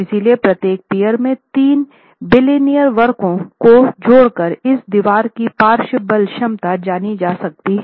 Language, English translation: Hindi, So, merely by adding up the three bilinear curves of each peer, in this case we have arrived at the lateral force capacity of this wall itself